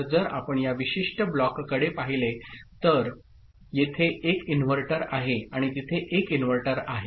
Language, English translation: Marathi, So, this particular block if you look at it; so there is a inverter here and there is inverter over there